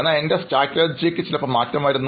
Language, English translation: Malayalam, But my strategy changes sometimes